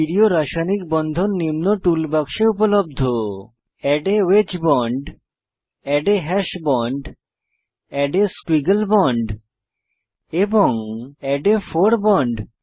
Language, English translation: Bengali, Stereochemical bonds available in the tool box are, * Add a wedge bond, * Add a hash bond, * Add a squiggle bond * and Add a fore bond